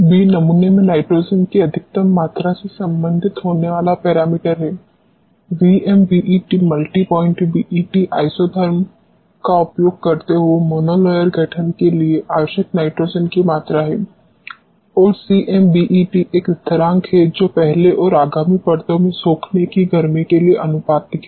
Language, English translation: Hindi, b is the parameter related to maximum amount of nitrogen getting adsorbed in the sample V MBET is the volume of the nitrogen required for mono layer formation using multi point BET isotherm and C MBET is a constant which is proportional to the heat of adsorption in first and subsequent adsorbed layers